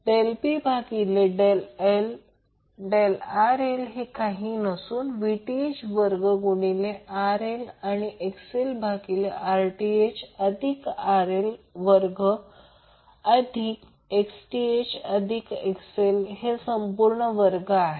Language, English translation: Marathi, Del P by del XL is nothing but Vth square into RL into Xth plus XL divided by Rth plus RL square plus Xth plus XL square whole square